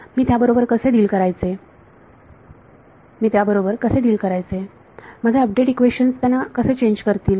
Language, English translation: Marathi, How do I deal how do I how will my update equations change them